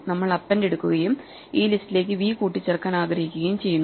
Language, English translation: Malayalam, So, we take append and we want to append v to this list